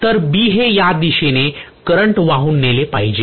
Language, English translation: Marathi, So B should carry the current in this direction clearly, right